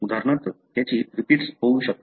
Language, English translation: Marathi, For example, it can have repeats